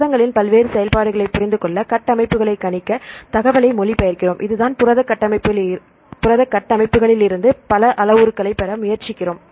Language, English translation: Tamil, Then we translate this information to predict the structures to understand various functions of these proteins right this is the reason why we try to get several parameters from the protein structures